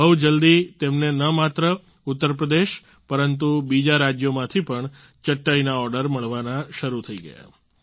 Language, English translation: Gujarati, Soon, they started getting orders for their mats not only from Uttar Pradesh, but also from other states